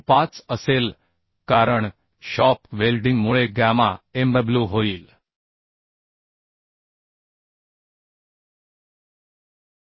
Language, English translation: Marathi, 25 because of shop weld so gamma mw will be 1